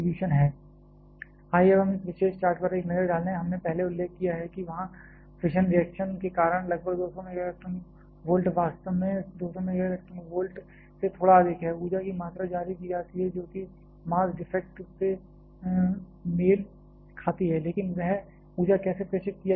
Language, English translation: Hindi, Now, let us take a look at this particular chart, we have earlier mention that the because of fission reaction there about 200 MeV, slightly greater than 200 MeV actually, amount of energy is released which corresponds to the mass defect, but how that energy is being transmitted